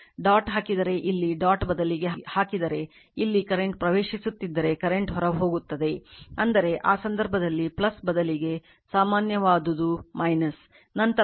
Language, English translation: Kannada, If you put instead of dot here if you put dot because here current is entering then current is leaving; that means, in that case general instead of plus it will be minus, it will be minus then L 1 plus L 2 minus 2 M